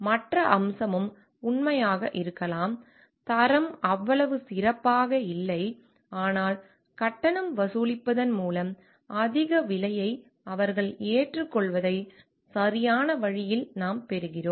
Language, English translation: Tamil, Other aspect is also could be true may be the quality is not so good, but by charging we understand we charging high price they may claim in a way right